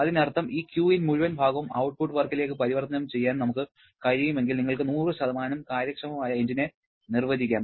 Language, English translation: Malayalam, That means if we can convert entire portion of this Q in to output work then you can define a 100% efficient engine